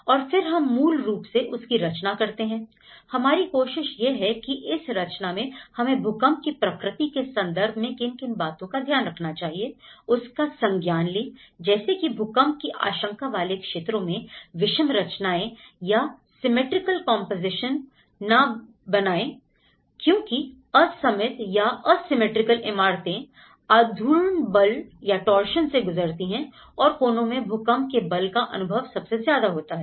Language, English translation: Hindi, And then we compose basically, what we try to do is we compose and in this composition process what in terms of the earthquake nature is concerned so, they are recommending that try to avoid the asymmetrical compositions in an earthquake prone areas and because these asymmetric buildings undergo torsion and extreme corners are subject to very large earthquake forces